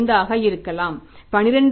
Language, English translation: Tamil, 5 it may be 11